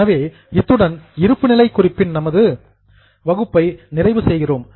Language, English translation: Tamil, So, with this, we are completing our sessions on balance sheet